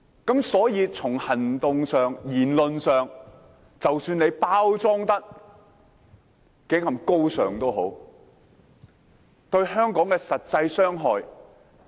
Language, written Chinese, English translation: Cantonese, 因此，從行動和言論上，即使他們包裝得如何高尚，但有否對香港帶來任何實際傷害？, So in the light of actions and words even though they package themselves nobly have they caused any actual harm to Hong Kong?